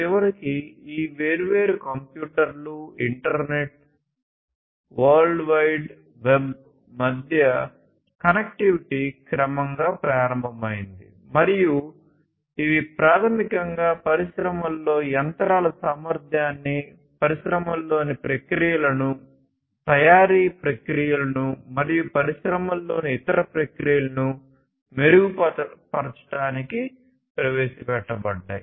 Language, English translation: Telugu, And eventually the connectivity between these different computers, internet, world wide web all of these basically gradually, gradually started, and these basically were introduced in the industries to improve the efficiency of the machinery, improve the efficiency of the processes in the industries, manufacturing processes and other processes in the industries and so on